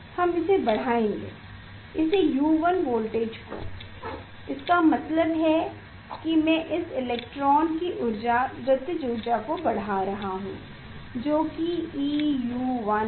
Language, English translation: Hindi, We will increase this increase this U 1 voltage; that means, I am increasing the energy kinetic energy of this electron that is e charge e U 1